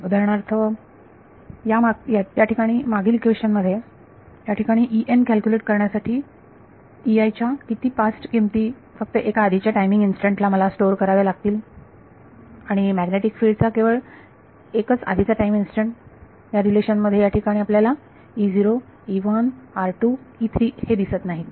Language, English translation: Marathi, So, for example, in this previous here this equation over here to calculate E n, how many passed values of E i do I need to store only one previous time instant and only one previous time instant of magnetic field, you do not see E 0, E 1, E 2, E 3 over here in this relation